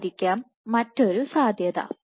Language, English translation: Malayalam, This might be another possibility